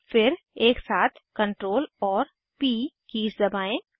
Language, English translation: Hindi, Then, press the keys Ctrl and P together